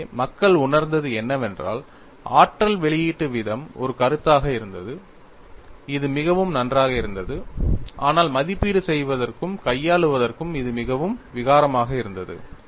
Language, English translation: Tamil, So, what people felt was, energy release rate, as a concept, which was quite good;, but it was very clumsy to evaluate and handle